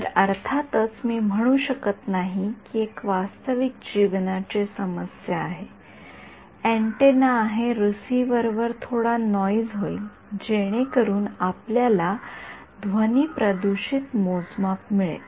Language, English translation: Marathi, So, of course, I cannot I mean this is a real life problem this is an antenna there will be some noise on the receiver so you will get noise corrupted measurements